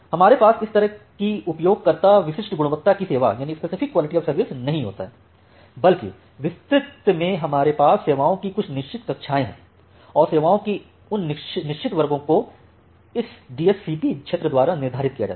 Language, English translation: Hindi, We do not have this kind of user specific quality of services that, rather network wide we have some fixed classes of services; and those fixed classes of services are determined by this DSCP field